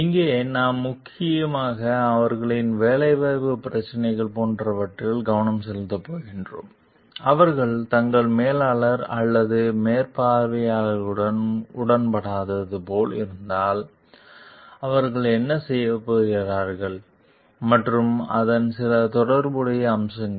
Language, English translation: Tamil, Here, we are going to focus on mainly their like employment issues and if they are like not in agreement with their manager or supervisors, what are they going to do and some related aspects of it